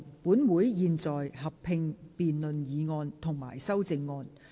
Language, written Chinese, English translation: Cantonese, 本會現在合併辯論議案及修正案。, Council will conduct a joint debate on the motion and the amendments